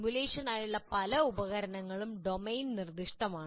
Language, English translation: Malayalam, And many of these tools are domain specific